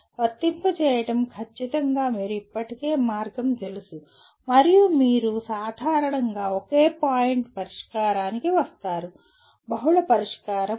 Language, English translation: Telugu, Whereas apply is strictly you already the path is known and you generally come to a single point solution, not multiple solution